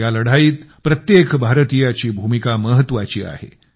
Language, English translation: Marathi, Every Indian has an important role in this fight